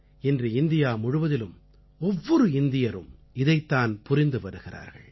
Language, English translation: Tamil, Today the whole of India, every Indian is doing just that